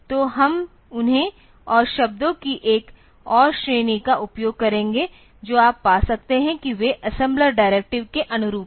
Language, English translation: Hindi, So, we will be using them and another category of words that you can find they corresponds assembler directives